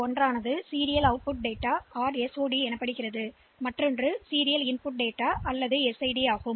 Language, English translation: Tamil, One is known as the serial output data or SOD other is the serial input data or SID